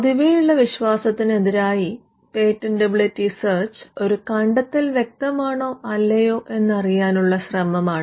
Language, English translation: Malayalam, Contrary to popular belief, a patentability search is an effort, that is directed towards determining whether an invention is obvious or not